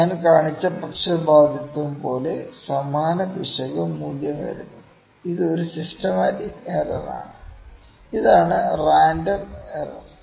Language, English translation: Malayalam, Same error value comes like this was the bias which I just showed, this is a systematic error, ok, and this is the random error